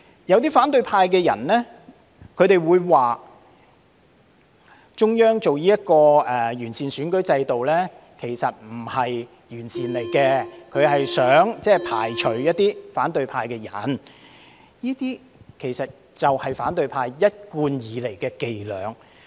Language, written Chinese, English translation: Cantonese, 有些反對派人士說中央現在提出完善選舉制度，其實並不是完善制度，而是想排除一些反對派的人，這些其實便是反對派一貫以來的伎倆。, Some members of the opposition camp said that the Central Authorities in proposing to improve the electoral system actually do not aim to improve the system but to exclude people from the opposition camp . This is in fact a tactic consistently used by the opposition camp